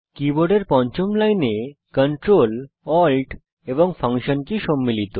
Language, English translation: Bengali, The fifth line of the keyboard comprises the Ctrl, Alt, and Function keys